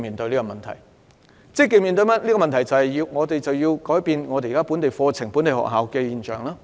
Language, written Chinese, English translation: Cantonese, 我們必須積極面對這個問題，改變本地課程及本地學校。, We must face up to this problem and give an overhaul to the local curriculum and local schools